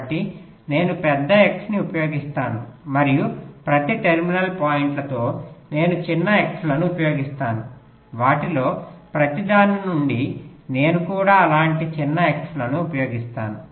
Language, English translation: Telugu, so i use a big x and with each of the terminal points i use smaller xs from each of them i will be using even smaller xs like that